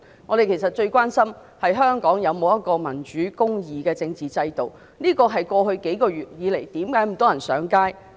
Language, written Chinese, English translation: Cantonese, 其實我們最關心的是香港有沒有民主和公義的政治制度，這是過去數個月以來，為何有這麼多人上街的原因。, In fact our greatest concern is the absence of a democratic and just political system in Hong Kong and this is the reason for so many people taking to the streets in the past few months